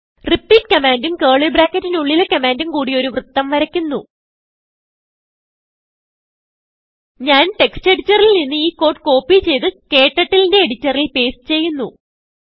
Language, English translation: Malayalam, repeat command and the commands within curly brackets draw a circle I will copy the code from text editor and paste it into KTurtles editor